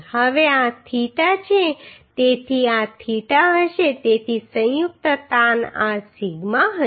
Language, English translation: Gujarati, Now this is theta so this will be theta so combined stress will be this sigma r right